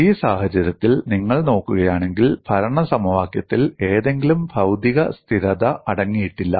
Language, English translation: Malayalam, If you look at in this case, the governing equation does not contain any material constant; this is a very added advantage